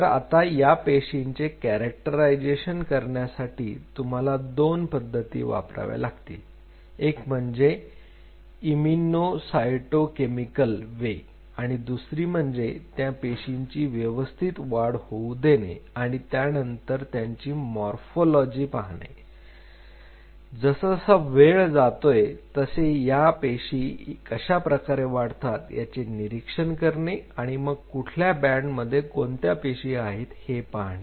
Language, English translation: Marathi, Now what you have to do you have to characterize this cell by two methods immuno cyto chemically is one method and you have to grow them to see their morphology how they grow over period of time based on that you will be able to figure out which bands represent what cell type